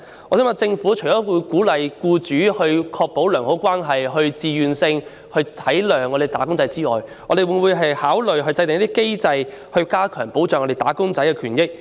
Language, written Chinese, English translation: Cantonese, 我想問，政府除了鼓勵僱主為確保良好勞資關係而自願體諒"打工仔"外，會否也考慮制訂機制，以加強保障"打工仔"的權益呢？, May I ask the Government if it will apart from encouraging employers to be understanding towards the wage earners of their own volition for the sake of maintaining good labour relations consider putting in place a mechanism to enhance protection for the rights and interests of wage earners?